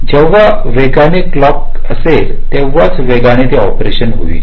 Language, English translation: Marathi, faster the clock, faster would be the operation